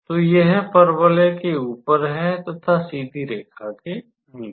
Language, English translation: Hindi, So, it is above the parabola, below the straight line